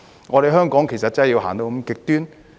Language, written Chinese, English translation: Cantonese, 我們香港真的要走到那麼極端？, Do we really need to go to that extreme in Hong Kong?